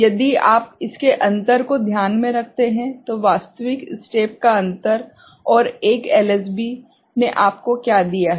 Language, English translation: Hindi, If you just note the difference of it ok, difference of actual step, and what 1 LSB would have given you right